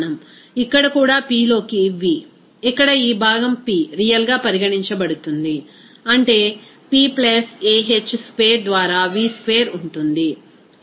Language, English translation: Telugu, Here also P into V, here this part is regarded as P real that is P + a h square by V square